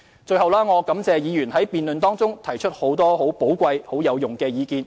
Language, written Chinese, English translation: Cantonese, 最後，我感謝議員在辯論中提出很多寶貴有用的意見。, Lastly I thank Honourable Members for expressing many valuable and constructive views during the debate